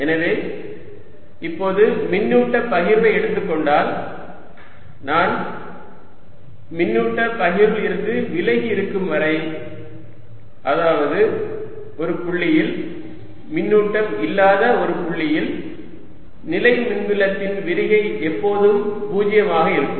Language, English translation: Tamil, so now, if i take charge distribution, as long as i am away from the charge distribution, that means at a point, at a point where there is no charge, diversions of electrostatic field will always be zero